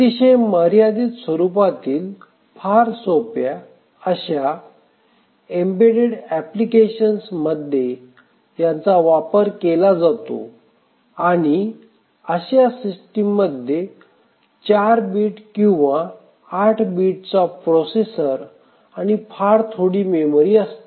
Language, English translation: Marathi, These are run on very simple embedded applications where there is a severe constraint on the processor capabilities, maybe a 4 bit or 8 bit processor and the memory is very, very less